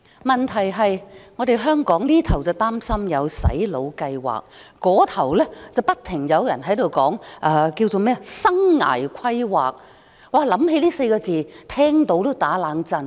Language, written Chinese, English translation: Cantonese, 問題是在香港，這邊廂有人擔心有"洗腦"計劃，那邊廂不停有人談"生涯規劃"，這4個字讓人聽到也"打冷震"。, Now in Hong Kong when some people are worried about brainwashing some others keep saying life planning . The term life planning always makes me shudder